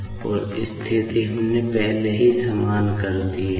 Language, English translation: Hindi, And, position terms we have already equated